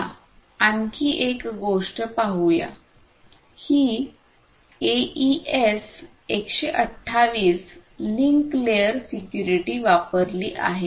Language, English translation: Marathi, So, so, let us look at and one more thing is that this AES 128 link layer security is used